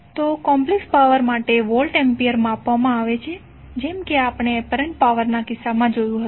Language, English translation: Gujarati, So the apparent power, complex power is also measured in the voltampere as we saw in case of apparent power